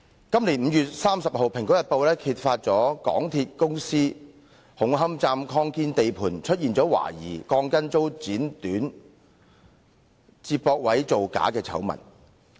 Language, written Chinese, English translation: Cantonese, 今年5月30日，《蘋果日報》揭發港鐵公司紅磡站擴建地盤懷疑鋼筋遭剪短、接駁位造假的醜聞。, In 30 May this year Apple Daily uncovered the falsification scandal of the Hung Hom Station extension works where steel bars had allegedly been cut short to be fitted into couplers